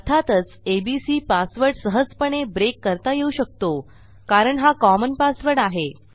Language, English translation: Marathi, Obviously, abc will be an easy one to break into as the turn goes because abc will be a common password